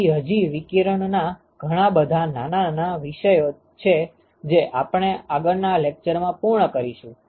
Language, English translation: Gujarati, So, there are a couple of small topics in radiation that we will finish in the next lecture